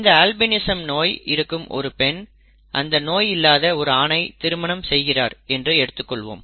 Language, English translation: Tamil, A female who has albinism marries a male without albinism and they have children